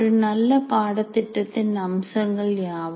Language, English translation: Tamil, What are the features of good courses